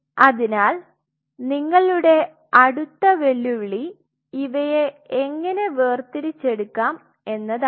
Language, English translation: Malayalam, So, your next challenge how to separate cell separation